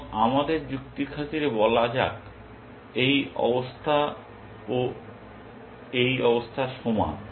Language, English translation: Bengali, And let us for arguments sake say that, this state is equal to this state